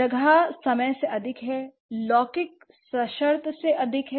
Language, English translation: Hindi, So space, higher than time, temporal is higher than conditional